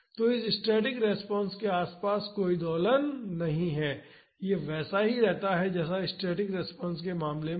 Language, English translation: Hindi, So, this there is no oscillation around this static response, this stays as it is in the static response case